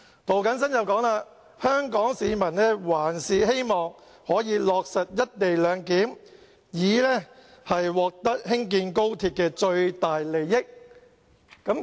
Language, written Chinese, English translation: Cantonese, 涂謹申議員說，香港市民還是希望可以落實"一地兩檢"，以獲得興建高鐵的最大利益。, Mr James TO said that Hong Kong people still hope to implement the co - location arrangement so as to obtain the greatest interests from the construction of the Guangzhou - Shenzhen - Hong Kong Express Rail Link XRL